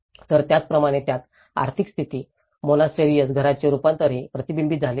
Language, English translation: Marathi, So, like that, it has also reflected in the economic status, monastery, house forms